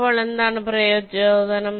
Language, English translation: Malayalam, so what is the motivation